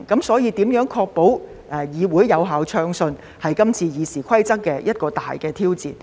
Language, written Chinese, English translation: Cantonese, 所以，如何確保議會可以運作暢順，便是今次《議事規則》修訂的一個大挑戰。, Hence a major challenge to this amendment exercise of RoP is how to ensure the smooth operation of this Council